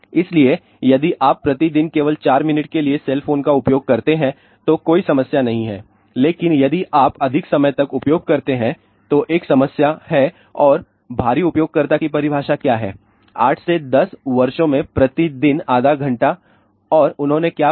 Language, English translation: Hindi, So, if you use cell phone only for a 4 minutes per day no problem, but if you use 4 longer time then there is a problem and what is the heavy user definition half hour per day over 8 to 10 years and what I found double to quadrupled brain tumor risk